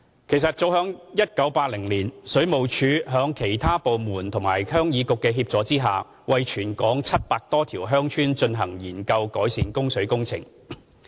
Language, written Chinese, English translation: Cantonese, 其實早於1980年，水務署在其他政府部門及鄉議局的協助下，為全港約700多條鄉村進行研究改善供水工程。, With the assistance of other departments and the Heung Yee Kuk the Water Supplies Department WSD has been conducting studies on ways to improve water supply for over 700 villages around the territories since 1980